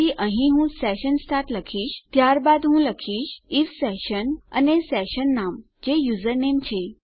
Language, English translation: Gujarati, So, here Ill say session start then Ill say if session and the session name which is username